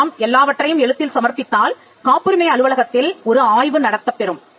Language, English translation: Tamil, If you put everything in writing, there is a scrutiny that is done by the patent office